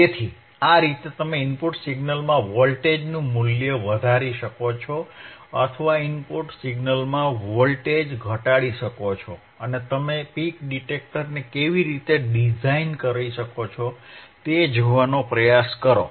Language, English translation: Gujarati, So, this is how you can you can increase the voltage height and in the input signal or decrease voltage in the input signal and try to see how you can how you can design the peak detector